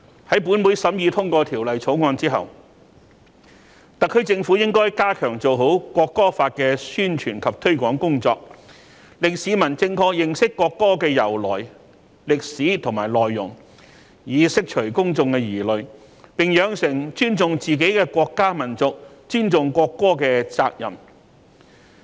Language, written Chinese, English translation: Cantonese, 在本會審議通過《條例草案》之後，特區政府應該加強做好《條例草案》的宣傳及推廣工作，令市民正確認識國歌的由來、歷史和內容，以釋除公眾疑慮，並養成尊重自己國家民族、尊重國歌的責任。, After the Bill has been scrutinized and passed in this Council the SAR Government should step up its efforts in publicizing and promoting the Bill to enable the public to properly understand the background history and content of the national anthem alleviate their concerns and develop an awareness of their responsibility of respecting the nation and the national anthem